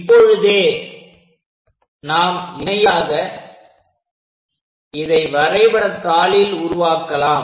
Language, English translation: Tamil, So, parallelly let us construct it on our graph sheet